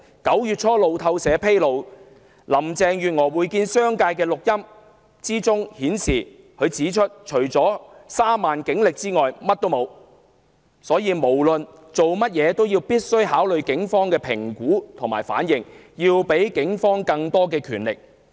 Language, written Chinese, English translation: Cantonese, 路透社9月初披露林鄭月娥會見商界的錄音內容，她在會面中表示自己除了3萬警力外甚麼都沒有，因此無論做甚麼都必須考慮警方的評估和反應，要給予警方更多權力。, In an audio recording of a meeting with members of the business sector as revealed by Reuters in early September Carrie LAM admitted that since she has nothing other than the 30 000 men and women in the Force she has to take into account the Police assessment and reactions in whatever she does and give the Police more powers